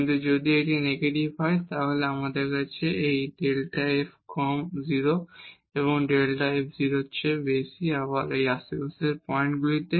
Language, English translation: Bengali, But if it is negative then we have this delta f less than 0 and delta f greater than 0 again in the points in the neighborhood